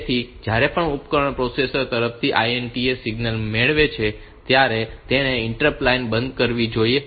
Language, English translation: Gujarati, So, whenever the device receives the INTA signal from the processor it should turn off the interrupt line